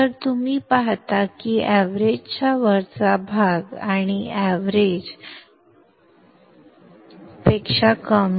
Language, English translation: Marathi, So you see that the portion above the average and the one below the average